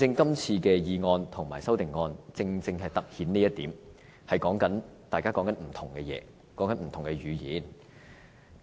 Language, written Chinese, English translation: Cantonese, 今次的議案和修正案正好突顯出這一點，大家正在說不同的事情，使用不同的語言。, The motion this time around has just highlighted such different demands . We are talking about different things and we are speaking different languages